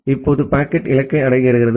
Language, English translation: Tamil, Now the packet reaches to the destination